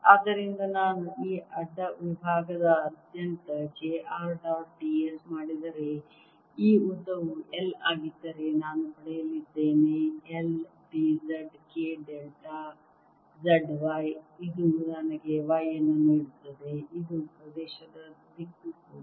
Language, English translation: Kannada, so if i do j r dot d s across this cross section, i am going to get, if this length is l, l, d z k delta z, y, which gives me a